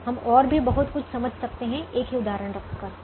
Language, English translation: Hindi, we can understand a lot more things by keeping the same example